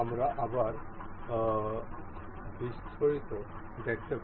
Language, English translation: Bengali, We can see the a details again